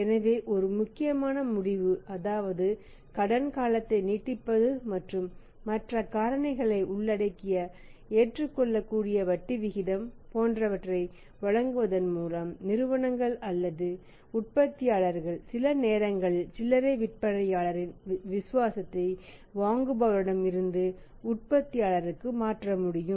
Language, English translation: Tamil, So, this is one important say conclusion that by giving the extended credit period and at the acceptable rate of interest of with the loading factor the companies are manufacturers sometime they can shift the loyalty of the retailers from the buyers to the manufacture